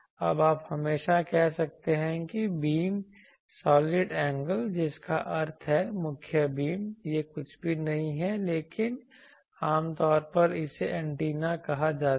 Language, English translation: Hindi, Now, you can always say that the beam solid angle, that means the beams main beam that is nothing but that is generally called antennas